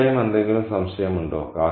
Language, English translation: Malayalam, Of course, is there any doubt